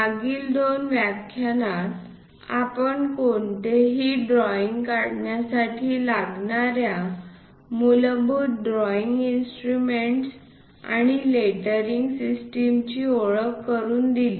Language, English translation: Marathi, In the last two lectures we covered introduction, basic drawing instruments and lettering to be followed for any drawing